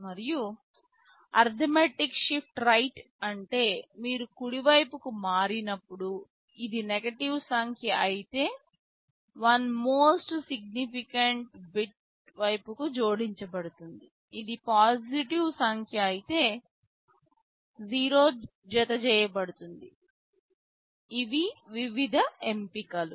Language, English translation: Telugu, And, arithmetic shift right means if it is a negative number when you shift right, 1 will be added to the most significant bit side if it is positive number 0 will be added, these are the various options